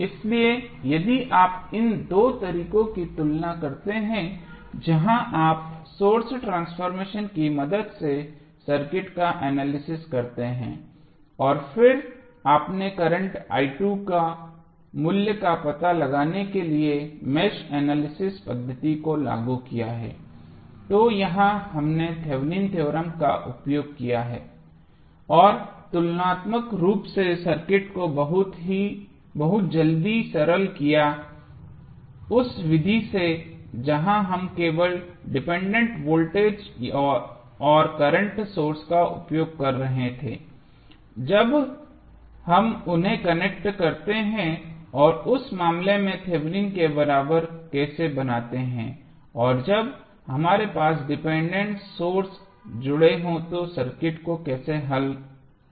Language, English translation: Hindi, So, if you compare these two methods where you analyze the circuit with the help of source transformation and then you applied the mesh analysis method to find out the value of current i 2, here we used the Thevenin theorem and simplified the circuit very quickly as compare to the method where we were using the only the dependent voltage and current source when we connect them and how to create the Thevenin equivalent in that case and how to solve the circuit when we have dependent sources connected